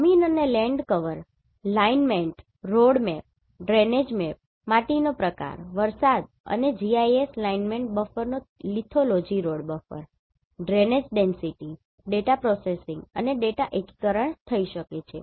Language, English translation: Gujarati, Land is land cover, Lineament, Road Map, Drainage Map, Soil Type, Precipitation, and Lithology from GIS Lineament Buffer, Road Buffer, Drainage Density, Data Processing and Data Integration